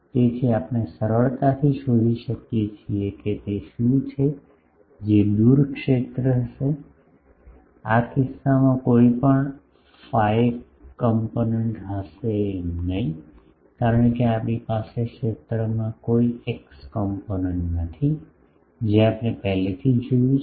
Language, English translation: Gujarati, So, we can easily find out that is what will be the far field, in this case there would not be any phi component, because we do not have any x component in the field that we have already seen in case of open ended waveguide